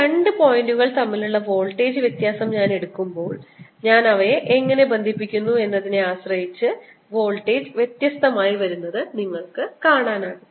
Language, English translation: Malayalam, when i take voltage difference between these two points, depending on how i connect them, you will see that the voltage comes out to be different